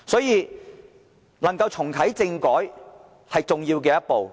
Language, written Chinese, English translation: Cantonese, 因此，重啟政改是重要的一步。, Hence the reactivation of constitutional reform is an important step